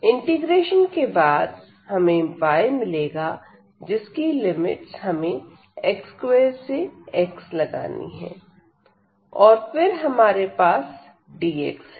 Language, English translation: Hindi, So, we will get y and then the limit x square to x and then we have here dx